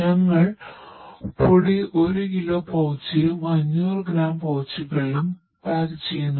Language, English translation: Malayalam, We are packing in a powder in a 1 kg pouch and 500 gram pouches